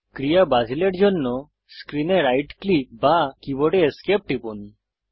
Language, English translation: Bengali, Right click on screen or Press Esc on the keyboard to cancel the action